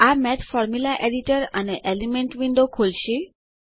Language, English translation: Gujarati, This brings up the Math Formula Editor and the Elements window